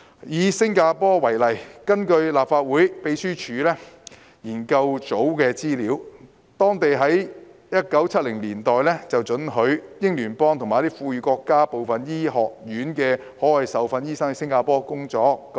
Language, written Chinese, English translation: Cantonese, "以新加坡為例，根據立法會秘書處資料研究組的資料，當地在1970年代准許英聯邦和富裕國家部分醫學院的海外受訓醫生到新加坡工作。, Take Singapore as an example . According to the information from the Research Office of the Legislative Council Secretariat the Singaporean government began to allow OTDs from certain medical schools in selected Commonwealth or affluent countries to work in Singapore as early as in the 1970s